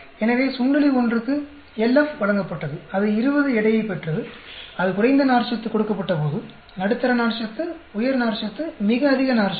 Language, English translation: Tamil, So, mouse one was given LF gained the weight of 20, when it was given is low fiber, medium fiber, high fiber, very high fiber